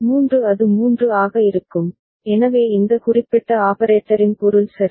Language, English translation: Tamil, 3 it will be 3, so that is the meaning of this particular operator ok